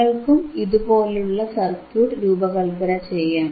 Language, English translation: Malayalam, So, you can also design this kind of circuit, right